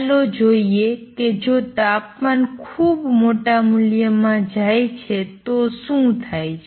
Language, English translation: Gujarati, Let us see what happens if the temperature goes to a very large value